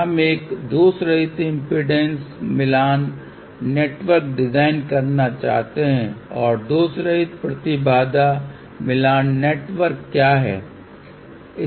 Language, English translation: Hindi, We would like to design a lossless impedance matching network and what are the lossless impedance matching networks